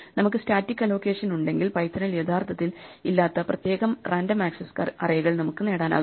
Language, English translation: Malayalam, If we have static allocation we can also exploit the fact that we can get peculiar random access arrays which Python actually does not have